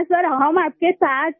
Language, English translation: Hindi, Sir we are with you